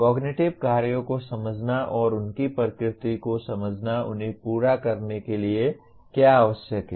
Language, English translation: Hindi, Understanding cognitive tasks and the nature of what is required to complete them